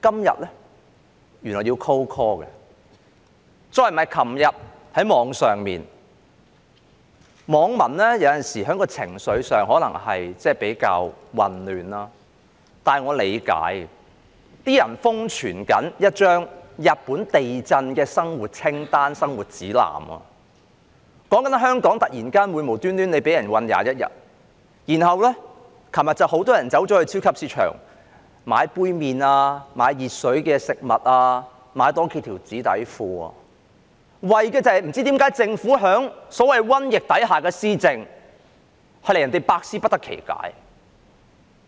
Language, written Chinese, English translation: Cantonese, 又例如，昨天在互聯網上——有時候網民的情緒可能比較混亂，但我理解——有些人瘋傳一張日本地震的生活用品清單、生活指南，說的是在香港有人會突然間無故被囚禁21日，隨後有很多人到超級市場購買杯麵、買以熱水沖泡的食物、多買數條紙內褲，就是因為政府在所謂瘟疫下的施政，令人百思不得其解。, For another example yesterday on the Internet―sometimes the netizens emotions might be quite confused but I understand them―some people virally spread a list of necessities for as well as a guide to living through Japanese earthquakes saying that some people in Hong Kong might be suddenly detained for 21 days for no reason . Subsequently many people went to supermarkets to buy cup noodles instant food requiring hot water and a few extra pairs of disposable underpants . All this happened just because of the Governments policy implementation amid the so - called plague